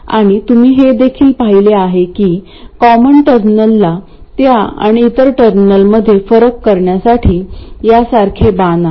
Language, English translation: Marathi, And you also see that the common terminal has an arrow like this to distinguish between that and the other terminal